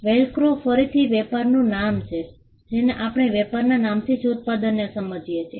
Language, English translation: Gujarati, Velcro again a trade name and we understand the product by the trade name itself